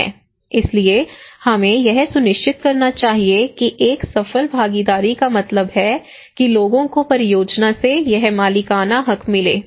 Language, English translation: Hindi, So we should make sure that a successful participation means that people get these ownerships from the project